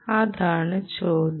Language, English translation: Malayalam, that is the really the question